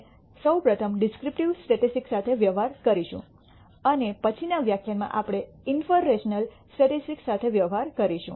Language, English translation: Gujarati, We will first deal with the descriptive statistics and in the next lecture we will deal with inferential statistics